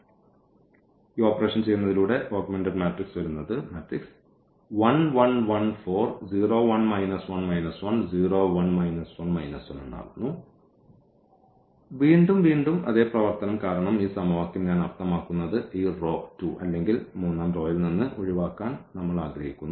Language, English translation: Malayalam, So, by doing so we got this and then the further again the same operation because this equation I mean this row 2 or we want to get rid from equation from row 3 this element 1 here